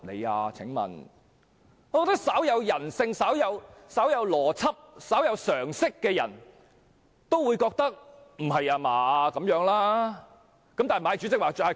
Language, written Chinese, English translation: Cantonese, 我認為稍有人性、稍有邏輯、稍有常識的人也會認為這樣很有問題。, I think anyone with the slightest bit of humanity logic and common sense will find something seriously wrong with it